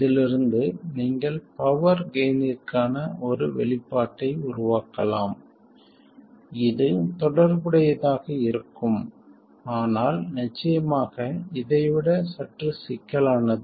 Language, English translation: Tamil, And you can also from this make an expression for power gain which will be related but of course a little more complicated than this